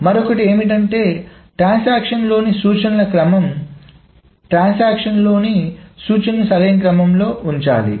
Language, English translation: Telugu, The other is the order of instructions within a transaction, order within a transaction must be maintained